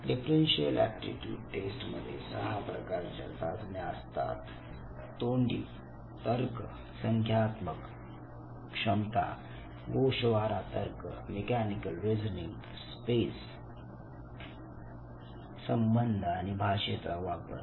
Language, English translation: Marathi, Now in differential aptitude test you have basically 6 different types of test, Verbal Reasoning, Numerical Ability, Abstract Reasoning, Mechanical Reasoning, Space Relation and Language Usage